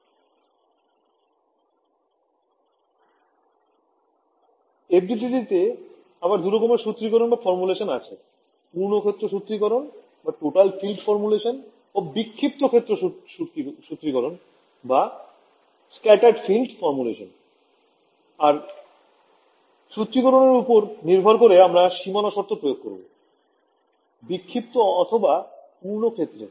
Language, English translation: Bengali, No in FDTD again there are two formulations, total field formulation and scattered field formulation and depending on the formulation, we will apply the boundary condition to only the scattered field or the total field